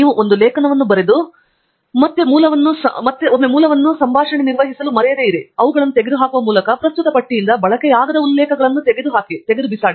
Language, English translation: Kannada, Once you are done writing an article do not forget to open the Source Manage dialogue again and remove the unused references from the current list by deleting them